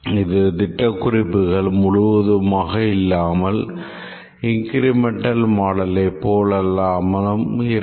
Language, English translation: Tamil, It's not full specification of the system unlike the incremental model